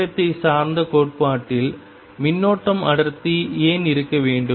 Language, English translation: Tamil, Why should there be a current density in time dependent theory